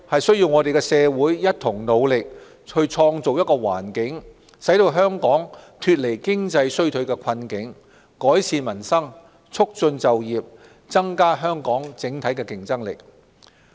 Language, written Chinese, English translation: Cantonese, 社會務必一同努力推動經濟復蘇，使香港脫離經濟衰退的困境，改善民生，促進就業，增加香港整體競爭力。, Our society must join efforts to facilitate economic recovery and lift Hong Kong out of recession with a view to improving peoples livelihood promoting employment and enhancing the citys overall competitiveness